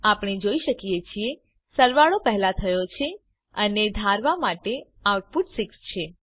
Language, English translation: Gujarati, As we can see, addition has been performed first and the output is 6 as expected